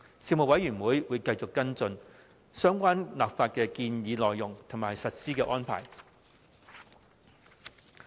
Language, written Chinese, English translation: Cantonese, 事務委員會會繼續跟進相關立法建議的內容及法例實施的安排。, The Panel will continue to follow up on the contents of the relevant legislative proposals and the arrangements for implementation of the legislation